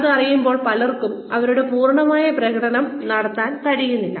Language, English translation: Malayalam, When you come to know that, a lot of people are not able to perform, to their full potential